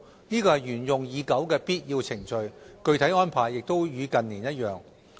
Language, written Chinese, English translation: Cantonese, 這是沿用已久的必要程序，具體安排亦與近年一樣。, This is a long established and essential procedure . The specific arrangements also follow those of recent years